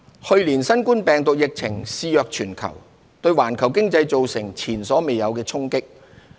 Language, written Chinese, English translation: Cantonese, 去年，新冠病毒疫情肆虐全球，對環球經濟造成前所未有的衝擊。, Last year the COVID - 19 pandemic ravaged the world causing unprecedented repercussions on the global economy